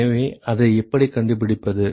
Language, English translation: Tamil, So, how do we find that